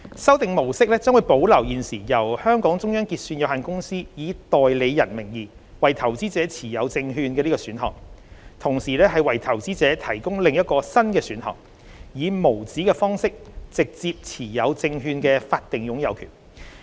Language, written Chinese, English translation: Cantonese, 修訂模式將保留現時由香港中央結算有限公司以代理人名義為投資者持有證券的選項，同時為投資者提供另一個新的選項，以無紙方式直接持有證券的法定擁有權。, Apart from retaining the current option of the Hong Kong Securities Clearing Company Limited HKSCC holding securities for investors in the name of a nominee the Revised Model provides another option for investors by enabling them to hold legal title to securities directly in uncertificated form